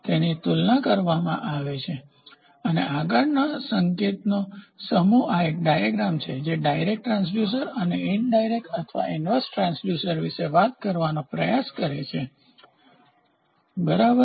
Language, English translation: Gujarati, It is compared and the next set of signal goes on this is a beautiful schematic diagram which tries to talk about direct transducer and indirect or inverse transducer, ok